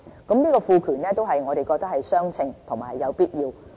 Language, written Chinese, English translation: Cantonese, 此賦權我們認為是相稱和有必要的。, The granting of such power is proportionate and necessary